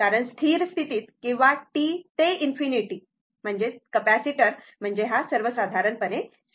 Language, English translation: Marathi, Because, at steady state or at in t tends to infinity, your capacitor I mean, switch in general